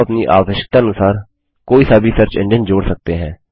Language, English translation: Hindi, You can add any of the search engines according to your requirement